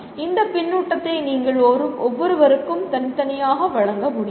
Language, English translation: Tamil, You cannot give this feedback to each and every individual separately